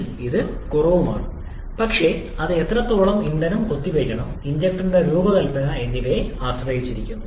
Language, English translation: Malayalam, We of course want to reduce this one to a smaller level but that depends upon how much mass of fuel we have to inject and also the design of the injector